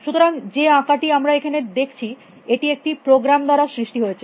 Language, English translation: Bengali, So, this drawing it is see there, painting that we see there is been created by a program